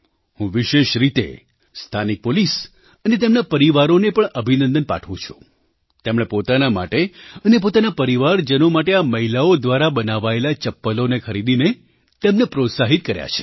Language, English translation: Gujarati, I especially congratulate the local police and their families, who encouraged these women entrepreneurs by purchasing slippers for themselves and their families made by these women